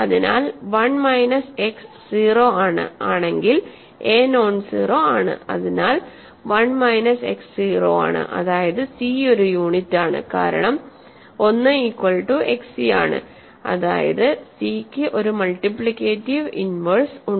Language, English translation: Malayalam, So, if a times one minus x is 0, a is nonzero, so 1 minus x is 0 that means, c is a unit, right because 1 equals xc that means, c has a multiplicative inverse